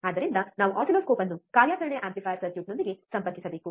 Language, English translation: Kannada, So, we have to connect the oscilloscope with the operational amplifier circuit